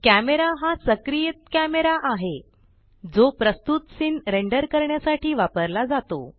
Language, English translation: Marathi, Camera is the active camera used for rendering the scene